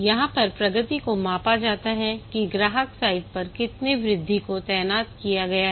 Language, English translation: Hindi, Here the progress is measured in how many increments have been deployed at customer site